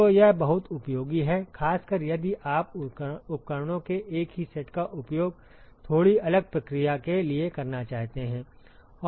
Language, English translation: Hindi, So, this is very useful particularly if you want to use the same set of equipments for a slightly different process